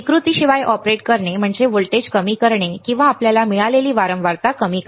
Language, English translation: Marathi, To operate the without distortion the way is to lower the voltage or lower the frequency you got it